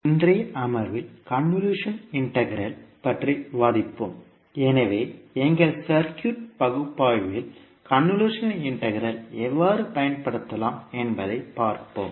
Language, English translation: Tamil, Namashkar, so in today’s session we will discuss about convolution integral, so we will see how we can utilise convolution integral in our circuit analysis